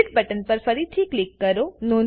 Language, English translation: Gujarati, Click on the Split button again